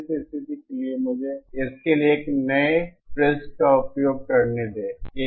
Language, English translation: Hindi, This condition let me use a fresh page for this